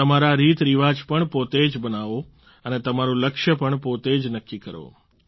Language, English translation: Gujarati, Devise your own methods and practices, set your goals yourselves